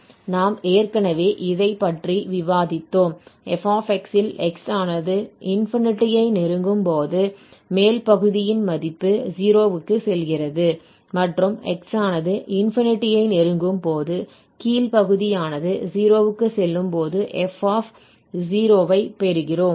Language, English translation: Tamil, So we have already discussed that or we have already assumed that this f x goes to 0 as x goes to infinity, so the upper part here when we put this x to infinity this will go to 0 and for the lower one we will get an f 0